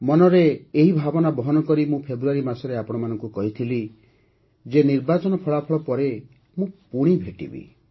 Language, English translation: Odia, With this very feeling, I had told you in February that I would meet you again after the election results